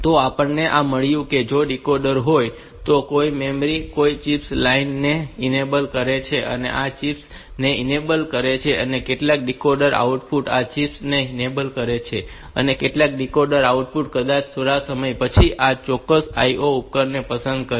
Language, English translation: Gujarati, So, we have got if this is the decoder some of the memory some of the chips enable line, they are enabling this chips, some of the decoder output they are enabling this chips and some of the decoder outputs, may be some time later